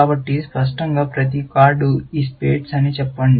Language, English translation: Telugu, So, obviously, every card, let us say it is spades